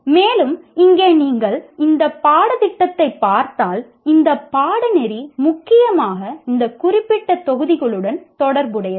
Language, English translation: Tamil, And here, if you look at this course, we will mainly for, this course is mainly related to this particular module